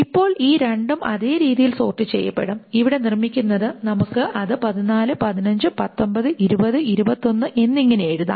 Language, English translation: Malayalam, Now in the same manner, these two will be sorted and what will be produced here is the, we can simply write it down, 14, 15, 19, 20, 21